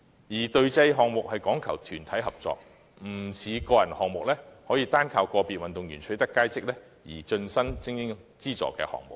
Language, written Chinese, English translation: Cantonese, 此外，隊際項目講求團體合作，不像個人項目般，可單單依賴個別運動員取得佳績而成為精英資助的項目。, Besides unlike individual games which can rely on the outstanding performance of individual athletes to secure the status of elite sports team performance in team sports hinges on teamwork